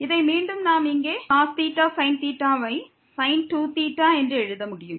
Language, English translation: Tamil, Which again we can write down here 2 times cos theta sin theta as sin 2 theta